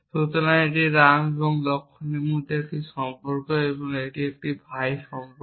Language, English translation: Bengali, So, it is a relation between ram and laxman and it is a brother relation